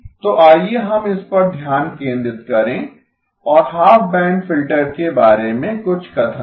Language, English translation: Hindi, So let us focus in and make some statements about the half band filter